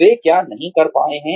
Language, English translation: Hindi, What they have not been able to do